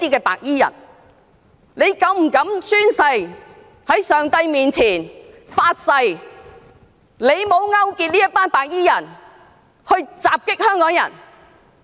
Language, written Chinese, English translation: Cantonese, 何議員是否膽敢在上帝面前發誓，他沒有勾結這群白衣人襲擊香港人？, Does Dr HO dare to swear before God that he had not colluded with this group of white - clad people to attack Hong Kong people?